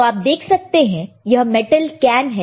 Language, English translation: Hindi, So, this is again I see metal can